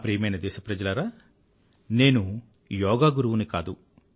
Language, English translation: Telugu, My dear countrymen, I am not a Yoga teacher